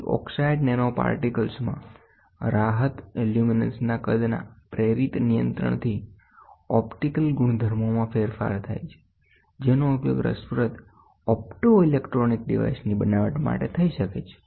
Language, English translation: Gujarati, Then size induced control of luminescence and relaxation in oxide nanoparticles lead to a change in the optical properties; which can be used in the fabricating interesting of optoelectronic devices